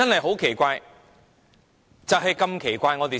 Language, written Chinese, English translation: Cantonese, 很奇怪，實在太奇怪。, It is so inexplicable so very inexplicable